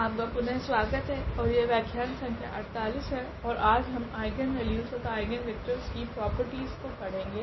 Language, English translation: Hindi, ) So, welcome back and this is lecture number 48 and today we will talk about the properties of Eigenvalues and Eigenvectors